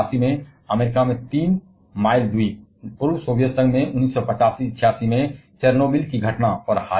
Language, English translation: Hindi, The Three Mile island in US in 1979, the Chernobyl incident I think in 1985 or 86 in the former Soviet Union